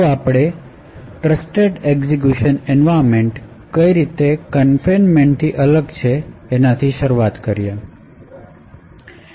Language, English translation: Gujarati, We first start of it is in how this particular Trusted Execution Environments is different from confinement